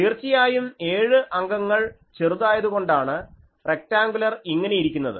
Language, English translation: Malayalam, Now obviously, seven element is small that is why rectangular is a like this